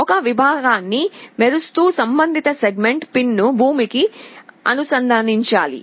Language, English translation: Telugu, To glow a segment the corresponding segment pin has to be connected to ground